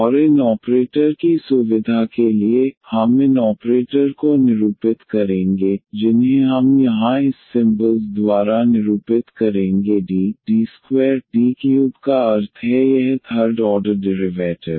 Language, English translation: Hindi, And for the sake of convenience these operators we will denote these operators we will denote by this symbols here D here we will take this D square and D cube means this third order derivative